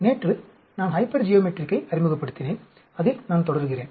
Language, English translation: Tamil, Yesterday I introduced Hypergeometric, let me continue on that